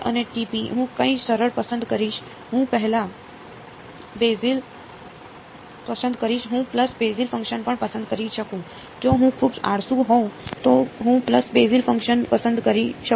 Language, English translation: Gujarati, b n and t n I will choose something simple I can choose pulse basis function also, if I am very lazy I can choose pulse basis function